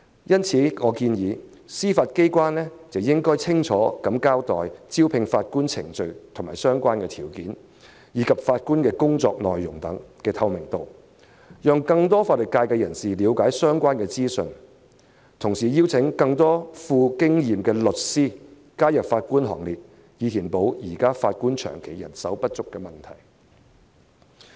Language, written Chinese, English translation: Cantonese, 因此，我建議司法機構應清楚交代招聘法官的程序和相關條件，並增加法官工作內容的透明度，讓更多法律界人士了解相關資訊，同時邀請更多富經驗的律師加入法官行列，以解決現時法官長期人手不足的問題。, Therefore I suggest that the Judiciary clearly explain the recruitment procedures and relevant requirements and enhance the transparency of the work of judges to give members of the legal profession a better understanding of the information involved . The Judiciary should also invite more experienced lawyers to join the Bench so as to resolve the longstanding problem of shortage of judges